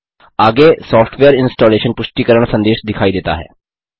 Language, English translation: Hindi, Next a Software Installation confirmation message appears